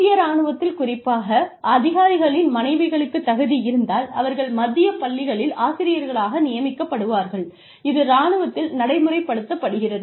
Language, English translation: Tamil, In the armed forces, specifically, the wives of the officers are, if qualified, if found qualified, they are preferred as teachers in the central schools, located in these armed forces set ups